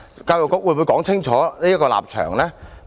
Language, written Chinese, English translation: Cantonese, 教育局會否清楚表明立場？, Will the Education Bureau state its stance loud and clear?